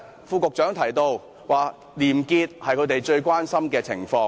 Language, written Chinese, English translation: Cantonese, 副局長剛才提到廉潔是政府最關心的事情。, The Under Secretary has just mentioned that integrity is the Governments prime concern